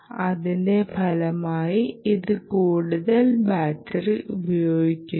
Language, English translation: Malayalam, as a result, it dissipates more battery